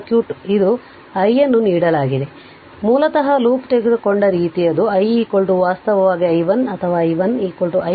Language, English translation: Kannada, So, basically the way we have taken the loop it is i is equal to actually i 1 or i 1 is equal to i